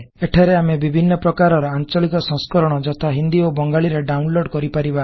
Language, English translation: Odia, Here, we can download various localized versions, such as Hindi or Bengali